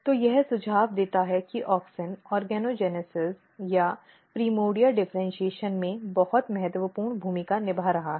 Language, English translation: Hindi, So, this suggest that auxin is playing very very important role in the organogenesis or in the primordia differentiation